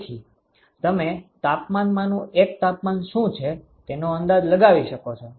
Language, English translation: Gujarati, So, you could guess what is one of the temperatures